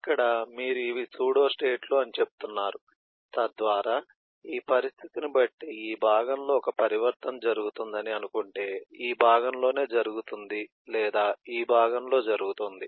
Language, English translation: Telugu, here you are saying that, eh, these are pseudostate, so that if a transition is suppose to happen on this eh part, depending on this condition, will either happen on this part or happen on this part